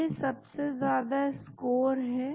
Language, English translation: Hindi, That is the highest score